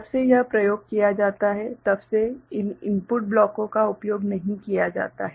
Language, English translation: Hindi, Since when this is used so, these input blocks are not used right